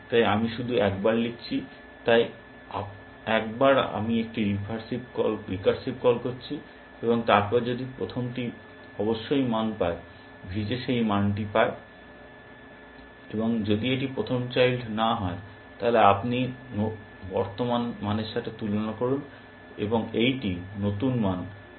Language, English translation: Bengali, So, I am just writing in once, so once I making a recursive call, and then if the first one of course that gets the value, V J gets that value, if it is not the first child, then you compare with the current value, and this new value that you are getting